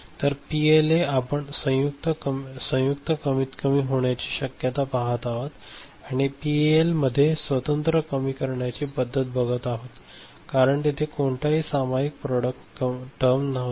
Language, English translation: Marathi, So, in PLA we are looking at possibility of joint minimization; in PAL individual minimization was there because of no shared term and all, shared product term ok